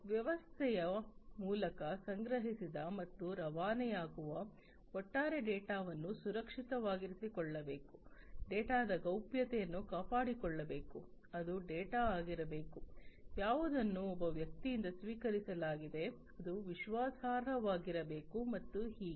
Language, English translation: Kannada, The overall the data that is collected and is transmitted through the system it has to be secured, the privacy of the data has to be maintained, it has to be the data that is received from one person, it has to be trustworthy and so on